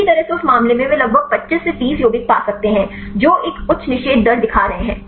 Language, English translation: Hindi, Well in that case they could find about 25 to 30 compounds, which are showing a high inhibition rate